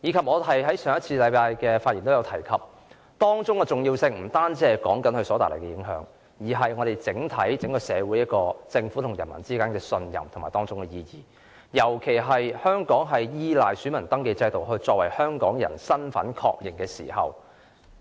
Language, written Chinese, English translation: Cantonese, 我在上星期的發言亦有提及，當中的重要性不單在於這次事件所帶來的影響，更涉及政府與社會整體市民之間的信任，尤其因為香港依賴選民登記制度確認香港人身份。, In fact the entire electoral system of Hong Kong have also been undermined as a result . As I have also mentioned in my speech delivered last week the significance of the incident lies not only in its impacts but also in the mutual trust between the Government and every person in society as a whole especially when Hong Kong does rely on the voter registration system for voter identity authentication